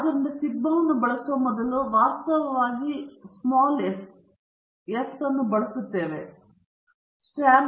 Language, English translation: Kannada, So, instead of using sigma, we are actually using s the sample standard deviation